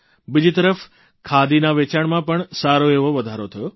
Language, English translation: Gujarati, On the other hand, it led to a major rise in the sale of khadi